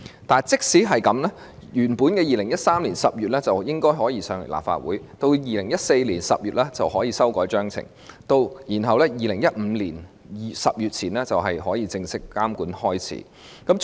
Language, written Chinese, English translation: Cantonese, 但即使如此 ，2013 年10月應可把法案提交立法會，到了2014年10月就可以修改章程，然後在2015年10月前就可以正式開始監管。, Notwithstanding a bill could be introduced into the Legislative Council in October 2013 and amendment of MAA could be made in October 2014; consequently regulation could formally commence before October 2015